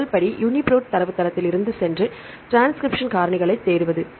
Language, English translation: Tamil, The first step is to go to UniProt database and search for transcription factors